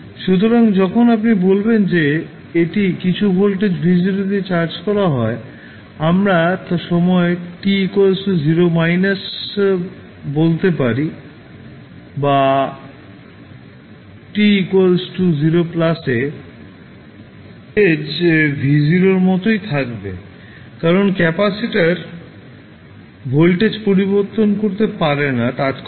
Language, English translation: Bengali, So, when you will say that it is charged with some voltage v naught we can say that at time t 0 minus or at time t 0 plus voltage will remain same as v naught because capacitor cannot change the voltage instantaneously